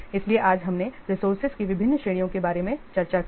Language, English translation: Hindi, So today we have discussed about the different categories of resources